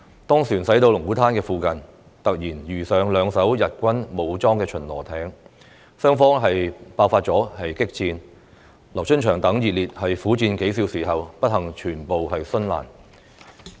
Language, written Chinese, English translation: Cantonese, 當船駛到龍鼓灘附近，突然遇上兩艘日軍武裝巡邏艇，雙方爆發激戰，劉春祥等英烈苦戰數小時後，不幸全部殉難。, When the boat reached the vicinity of Lung Kwu Tan it suddenly encountered two Japanese armed patrol boats and a fierce battle broke out between them . All heroes including LIU Chunxiang unfortunately died after bitterly fighting for several hours